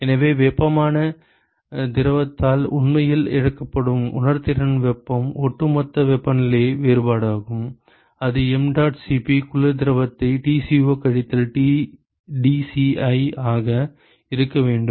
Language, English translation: Tamil, So, that is the overall temperature difference that the sensible heat that is actually lost by the hot fluid and, that should be equal to mdot Cp cold fluid into Tco minus dci